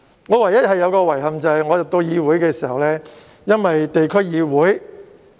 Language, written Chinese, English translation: Cantonese, 我唯一的遺憾，是當我加入議會時，因為區議會......, My only regret however is that when I joined the legislature the District Council DC I am also a DC member